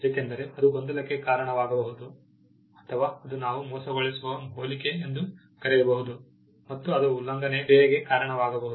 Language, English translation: Kannada, Because that can cause confusion, or it can lead to what we call deceptive similarity and that can be a reason for an infringement action